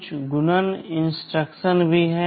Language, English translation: Hindi, There are some multiplication instructions also